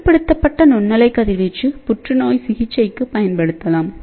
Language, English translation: Tamil, In fact, a controlled microwave radiation can also be used for cancer treatment also